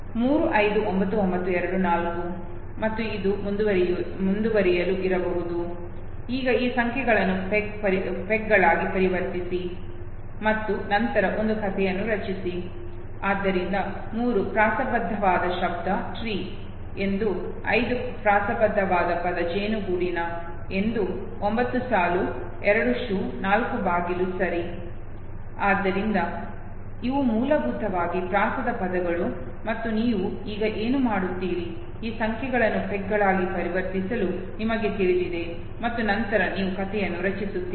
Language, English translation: Kannada, 359924, and this might continue, now convert these numbers into pegs and then construct a story, so 3 the rhyming word would be tree, 5 the rhyming word would be hive, 9 line, 2 shoe, 4 door okay, so these are basically know the rhyming words and what you do now, is that you simply now convert this numbers into pegs and then you make a story